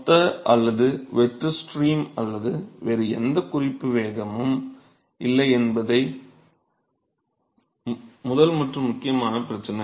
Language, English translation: Tamil, So, the first and important issue is that there is no bulk or free stream or any other reference velocity